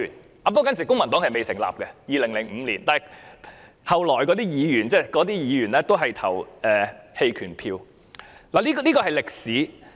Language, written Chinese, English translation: Cantonese, 在2005年時，公民黨尚未成立，但之後加入該黨的議員，當時也是投了棄權票的，這便是歷史。, In 2005 the Civic Party was not yet found . Yet Members joining the Civic Party subsequently abstained at the time . This is the history